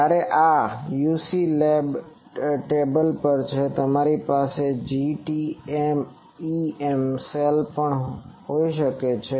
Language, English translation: Gujarati, Whereas, this is on a UC lab table you can also have a GTEM cell